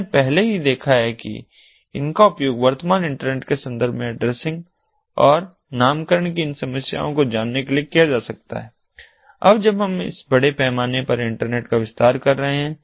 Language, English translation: Hindi, we are already we have already ah, seen that these can be used in order to, ah, you know, address these problems of addressing and naming in the context of ah, ah, in the context of the present internet and now, when we are expending this internet in this large scale